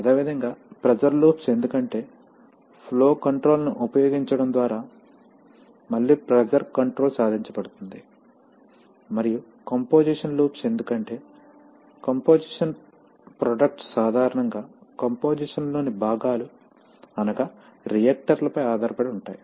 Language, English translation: Telugu, Similarly, pressure loops because again pressure control is achieved by using flow control, and composition loops because compositions of products are typically dependent on the compositions of the components in a, let us say reactor